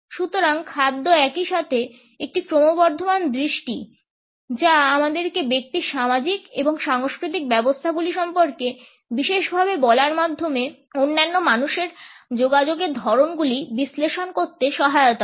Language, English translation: Bengali, So, food is an increasing lens at the same time it helps us to analyse the communication patterns of the other people by telling us significantly about the social and cultural setups of the individual